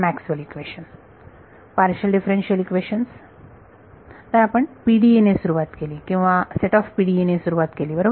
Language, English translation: Marathi, Maxwell’s equation, partial differential equations; so, we start with PDE or a set of PDEs right what did we do to this PDE